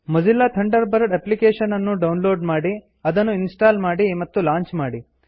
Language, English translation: Kannada, Download Mozilla Thunderbird application Install and launch it